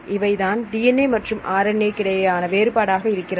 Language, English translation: Tamil, So, what is the difference between a DNA and RNA